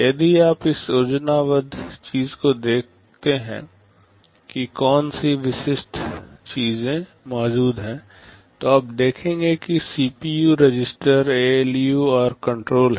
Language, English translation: Hindi, If you look at this schematic what are the typical things that are present, you will see that, there is CPU, registers, ALU’s and control